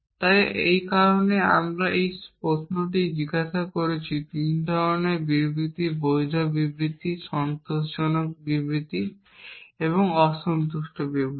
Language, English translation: Bengali, So, that is why I ask this question there are 3 kind of statements valid statement, satisfiable statement and unsatisfiable statement